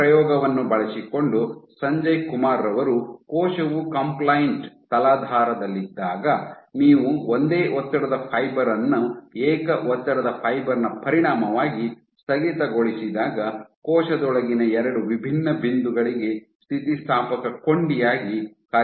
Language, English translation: Kannada, Using this experiments, Sanjay Kumar demonstrated that when a cell is sitting on a compliant substrate when you have a single stress fiber being ablated as a consequence of the single stress fiber because the substrate acts as an elastic link for two different points within the cell